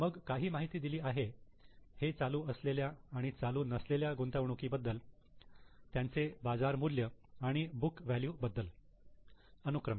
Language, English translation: Marathi, Then the information is given about current and non current investment, their market values and book values respectively